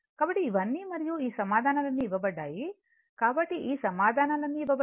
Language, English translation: Telugu, So, and all theseyour what we call all these answers are answers are given so, all these answers are given